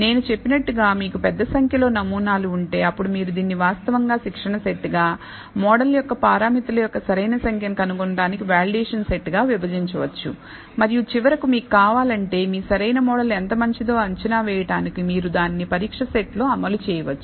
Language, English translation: Telugu, So, as I said, if you have large number of amount of samples, then you can actually divide it into a training set, a validation set for finding the optimal number of parameters of a model and finally, if you want to assess, how good your optimal model is you can run it on a test set